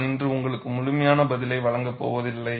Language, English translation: Tamil, I am not going to give you the complete answer today